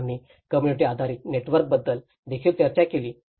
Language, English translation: Marathi, And we did also discussed about the community based networks